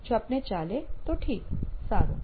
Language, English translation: Gujarati, If it works for you, fine, good